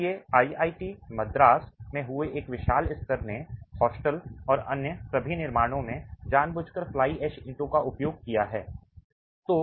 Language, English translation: Hindi, So, vast majority of the expansions that have happened in IATI madras have consciously used fly ash bricks in the hostels and in all other constructions